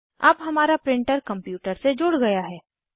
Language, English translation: Hindi, Now, our printer is connected to the computer